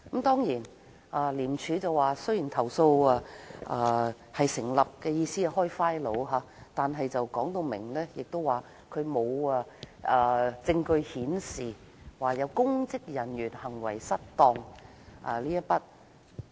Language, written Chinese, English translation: Cantonese, 當然，廉署表示投訴成立，意思是可以就此事開立檔案，但後來指出沒有證據顯示有公職人員行為失當。, Of course a substantiated complaint only means that ICAC will open a case file . ICAC later pointed out that there was no proof of misconduct in public office